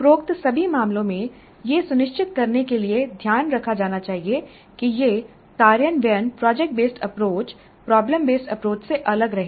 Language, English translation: Hindi, In all of these above cases care must be taken to ensure that this implementation remains distinct from product based approach or problem based approach